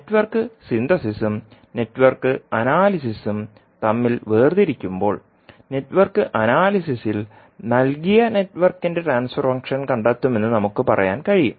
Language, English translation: Malayalam, So when we differentiate between Network Synthesis and Network Analysis, we can say that in Network Analysis we find the transfer function of a given network while, in case if Network Synthesis we reverse the approach